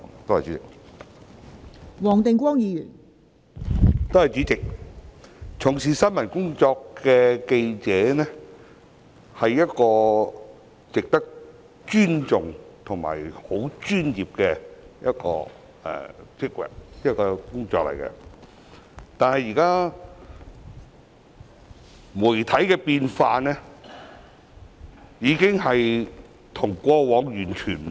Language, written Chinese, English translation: Cantonese, 代理主席，從事新聞工作的記者值得尊重，也是專業的工作，但現時的媒體有所改變，跟過往完全不同。, Deputy President journalists engaging in news reporting are worthy of respect and journalists are a profession but the media have undergone changes and become completely different from what they were in the past